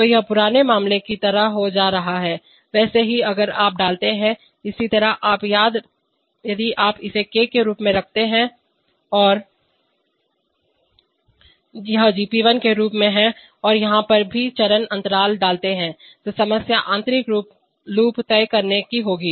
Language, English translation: Hindi, So it is becoming like the old case, similarly if you put, similarly, if you put this one as K, and this one as GP1 and put all the phase lag here then the problem will be to decide the inner loop